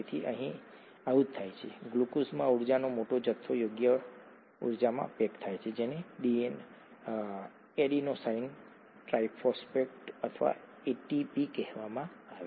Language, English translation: Gujarati, So that is what happens here, the large amount of energy in glucose gets packaged into appropriate energy in what is called an Adenosine Triphosphate or ATP